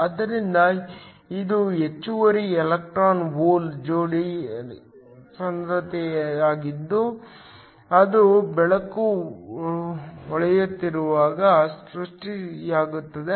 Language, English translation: Kannada, So, this is the excess electron hole pair concentration that is created when light is shining